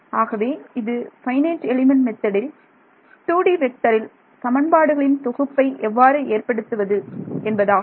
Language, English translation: Tamil, So, this is how you build a system of equations in your 2D vector FEM